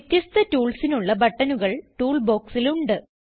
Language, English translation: Malayalam, Toolbox contains buttons for different tools